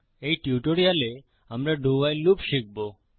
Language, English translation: Bengali, In this tutorial, we will learn the DO WHILE loop